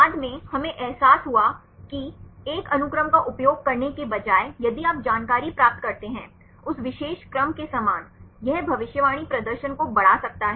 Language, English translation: Hindi, Later on, we realized that instead of using a single sequence; if you obtain the information; similar to that particular sequence; that may increase the prediction performance